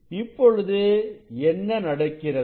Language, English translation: Tamil, then what will happen